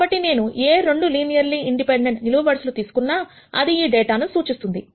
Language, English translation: Telugu, So, I pick any 2 linearly independent columns that represents this data